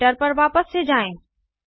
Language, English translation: Hindi, Let us go back to the Editor